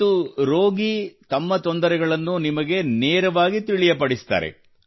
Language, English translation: Kannada, And the one who is a patient tells you about his difficulties directly